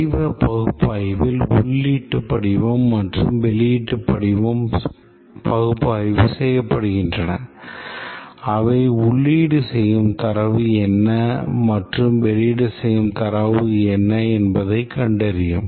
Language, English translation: Tamil, In the form analysis, the forms that are used for giving information or the input and the forms that are used for producing the output, these are analyzed to find out what are the data that are input and what are the data that are output